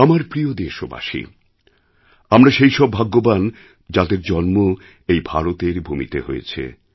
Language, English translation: Bengali, My dear countrymen, as a people, we are truly blessed to be born in this land, bhoomi of Bharat, India